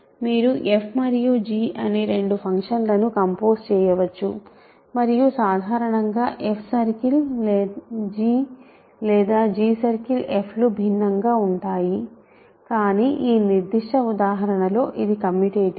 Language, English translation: Telugu, You can compose two function f and g and in either f circle g or g circle f in general there are different, but in this specific example its commutative